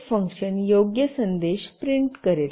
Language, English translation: Marathi, printf function will print the appropriate message